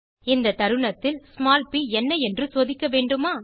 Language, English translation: Tamil, Would you want to check what small p is at this point